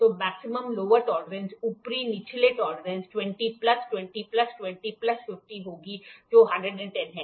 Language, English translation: Hindi, So, the maximum lower tolerance upper lower tolerance will be 20 plus 20 plus 20 plus 50 which is 110